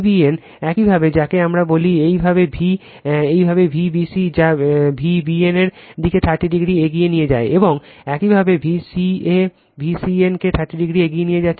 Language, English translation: Bengali, V b n your what we call your v your V b c leading to V b n by 30 degree; and similarly your V c a leading V c n by 30 degree right